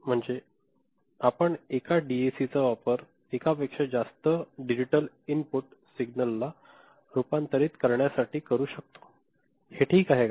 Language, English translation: Marathi, Then, you can think of using one DAC to convert multiple digital input signal, is it fine